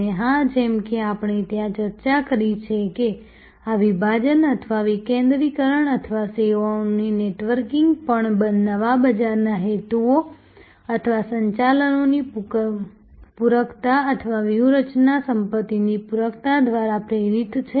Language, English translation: Gujarati, And of course, as we discussed there were this fragmentation or decentralization or networking of services were also driven by new market seeking motives or resource complementariness or strategic asset complementariness